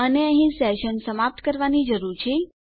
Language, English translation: Gujarati, And we need to end our session here